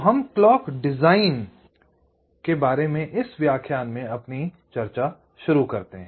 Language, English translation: Hindi, ok, so we start our discussion in this lecture about clock design